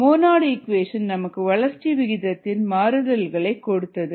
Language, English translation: Tamil, the monad equation give us the variation of growth rate